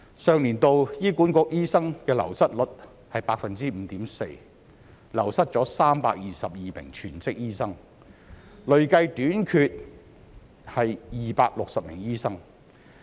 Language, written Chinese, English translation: Cantonese, 上年度醫院管理局醫生的流失率是 5.4%， 流失322名全職醫生，累計短缺260名醫生。, Last year the Hospital Authority HA had an attrition rate of 5.4 % among doctors 322 full - time doctors left and there was a cumulative shortfall of around 260 doctors